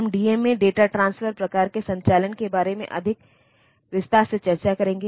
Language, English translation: Hindi, So, we will discuss it in more detail when you go into this DMA data transfer type of operation